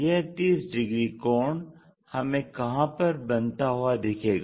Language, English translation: Hindi, This is the 30 degrees angle and we have to locate this point